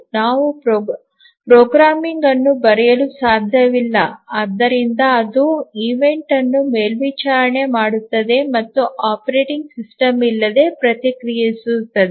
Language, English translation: Kannada, Can’t the programming itself we write so that it monitors the event and responds without operating system